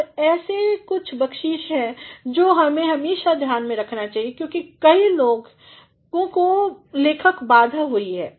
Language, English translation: Hindi, Now, there are certain tips which one should always keep in mind because many people who have got a writer’s block